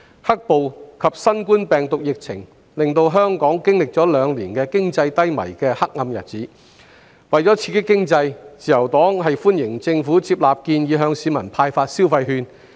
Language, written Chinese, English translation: Cantonese, "黑暴"及新冠病毒疫情令香港經歷了兩年經濟低迷的黑暗日子，為了刺激經濟，自由黨歡迎政府接納建議向市民派發消費券。, As Hong Kong has gone through two dark years of economic decline owing to the black - clad violence and the novel coronavirus epidemic in order to stimulate the economy the Liberal Party welcomes that the Government has taken on board the proposal to issue consumption vouchers to the public